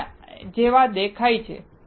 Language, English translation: Gujarati, This is how it looks like